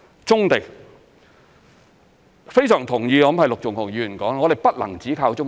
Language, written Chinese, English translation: Cantonese, 棕地方面，我非常同意陸頌雄議員指我們不能只靠棕地。, With regard to brownfield sites I strongly concur with Mr LUK Chung - hung that we cannot rely on brownfield sites alone